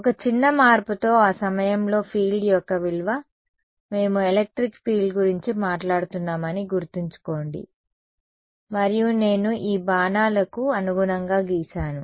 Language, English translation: Telugu, Value of the field at that point with one small modification, remember we are talking about electric field and I have drawn these arrows correspond to